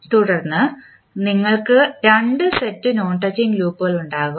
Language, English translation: Malayalam, And, then you will have set of two non touching loops